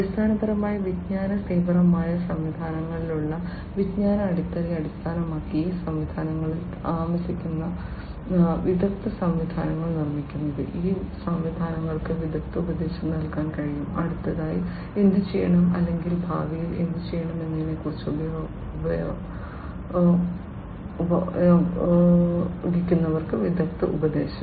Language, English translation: Malayalam, Building expert systems, which are basically in knowledge intensive systems, based on the knowledge base, that is resident in these systems, these systems can provide expert advice; expert advice to users about what should be done next or what should be done in the future